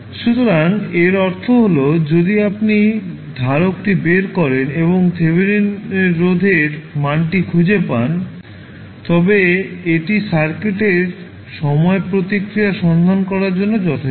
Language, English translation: Bengali, So, that means that if you take out the capacitor and find the value of Thevenin resistance, that would be sufficient to find the time response of the circuit